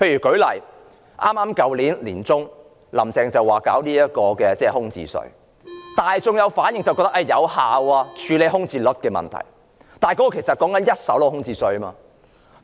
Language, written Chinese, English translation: Cantonese, 舉例說，"林鄭"去年年中說要實施空置稅，大眾的反應是這可有效處理空置率的問題，但那只是針對一手樓宇的空置稅。, For instance Carrie LAM said in the middle of last year that a vacancy tax would be imposed . The public response is that this can effectively address the problem concerning the vacancy rate . But that is only a vacancy tax on first - hand properties